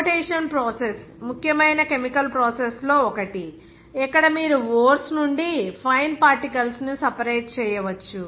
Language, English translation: Telugu, The flotation process is one of the important chemical processes where you can separate the fine particles from the ores